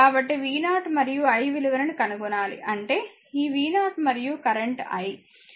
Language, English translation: Telugu, So, we have to find out v 0 and i; that means, this v 0 and and the current i